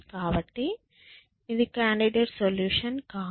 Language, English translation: Telugu, So, that is not a candidate solution